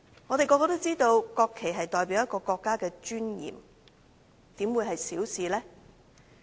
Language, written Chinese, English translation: Cantonese, 我們所有人也知道，國旗代表國家的尊嚴，怎會是小事呢？, As we all know the national flag represents national dignity so how can it be a trivial issue?